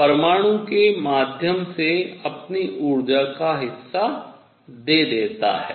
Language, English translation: Hindi, So, it is given part of his energy through the atom